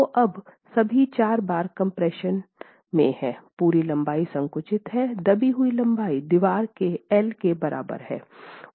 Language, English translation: Hindi, So, now all the four bars are in compression, entire length is compressed, compressed length is equal to L of the wall